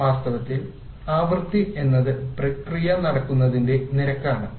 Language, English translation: Malayalam, In fact the frequency when you talk about is a measure of the rate at which the processes take place